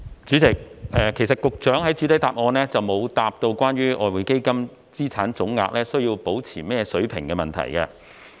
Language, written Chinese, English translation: Cantonese, 主席，局長其實未有在主體答覆回答關於外匯基金資產總額須維持在甚麼水平的問題。, President with regard to the part of the question on the level of the total EF assets which needs to be kept the Secretary has in fact not given us an answer in the main reply